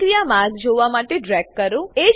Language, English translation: Gujarati, Drag to see the reaction pathway